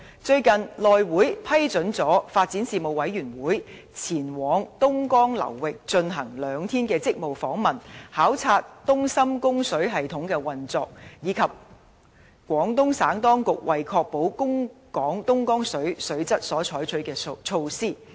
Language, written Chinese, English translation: Cantonese, 最近，內務委員會批准了發展事務委員會委員前往東江流域進行兩天職務訪問，考察東深供水系統的運作，以及廣東省當局為確保供港東江水水質所採取的措施。, Recently the House Committee gave its approval for the Panel on Development to conduct a two - day duty visit to the Dongjiang River Basin for the purpose of inspecting the operation of the Dongjiang - Shenzhen Water Supply System and also the measures taken by the Guangdong Provincial authorities to safeguard the quality of Dongjiang water supplied to Hong Kong